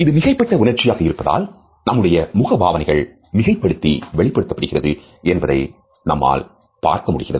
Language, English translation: Tamil, As it is an exaggerated emotion, we find that there are many ways in which it is expressed in an exaggerated manner by our facial features